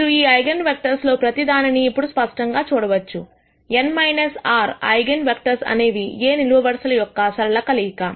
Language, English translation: Telugu, Now you will clearly see that, each of these eigenvectors; n minus r eigenvectors are linear combinatins of the columns of A